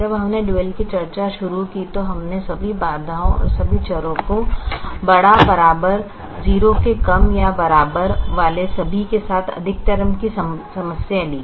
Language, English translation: Hindi, when we began our discussion on the dual, we took a maximization problem with all less than or equal to constraints and all variables greater than or equal to zero